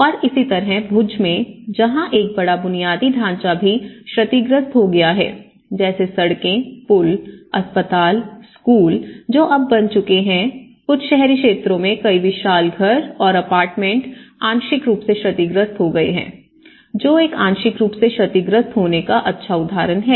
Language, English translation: Hindi, And similarly in Bhuj, where a large infrastructure has been damaged like roads also, some of the bridges, some of the hospitals, some of the schools which has been and now some in the urban areas, huge house, many houses have been damaged, some apartments have been damaged and this is one good example of how it has partially been damaged